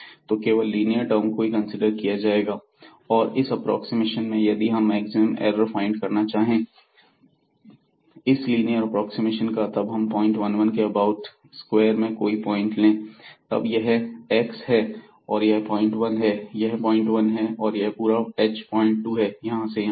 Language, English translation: Hindi, So, only the linear terms are considered in the approximation and we want to find out the maximum error in that linear approximation, if we take any point here in this square around this point 1 1 by this point